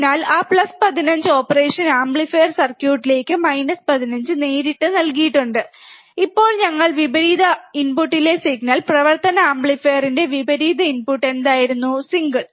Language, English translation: Malayalam, So, that plus 15 minus 15 is directly given to the operational amplifier circuit, and now we are applying the signal at the inverting input, inverting input of the operational amplifier, what was a single